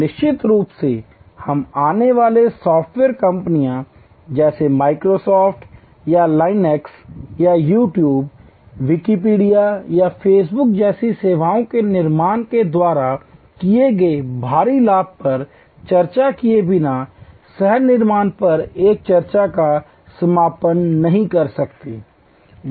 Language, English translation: Hindi, And of course, we cannot conclude a discussion on co creation without discussing the enormous gains that have been made by come software companies, like Microsoft or Linux or creation of services, like YouTube, Wikipedia or facebook